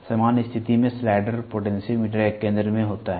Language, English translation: Hindi, Under normal condition, the slider is at the centre of the potentiometer